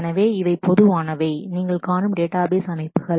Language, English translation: Tamil, Now, these are the common database systems